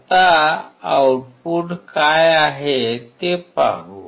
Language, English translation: Marathi, Now, let us see what the output is